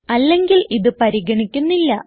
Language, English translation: Malayalam, Else it will be ignored